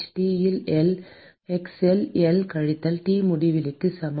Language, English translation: Tamil, T at x equal to L minus T infinity